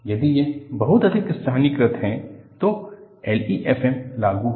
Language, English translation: Hindi, If it is very highly localized, then L E F M is applicable